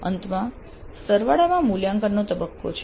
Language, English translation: Gujarati, At the end there is a summative evaluate phase